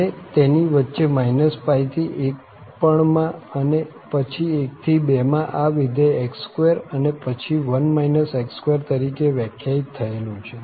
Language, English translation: Gujarati, And, in between also, from minus pi to 1 and then 1 to 2, these functions are defined as x square, and then 1 minus x square